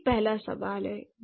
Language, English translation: Hindi, That's the first question